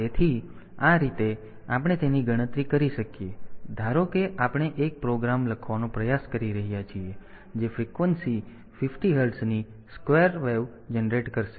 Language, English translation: Gujarati, So, this way we can calculate it suppose we are trying to write a program that will generate a square wave of frequency 50 hertz